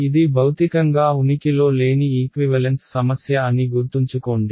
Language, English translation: Telugu, Remember this is a equivalent problem this does not physically exist